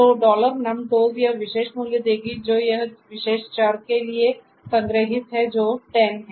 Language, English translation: Hindi, So, dollar number toes will give you this particular value that is stored for this particular variable which is 10